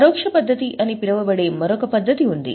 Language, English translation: Telugu, There is another method which is known as indirect method